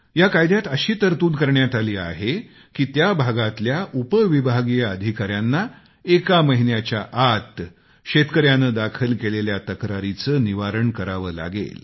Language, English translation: Marathi, Another notable aspect of this law is that the area Sub Divisional Magistrate SDM has to ensure grievance redressal of the farmer within one month